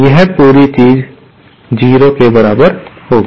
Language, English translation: Hindi, This whole thing will be equal to 0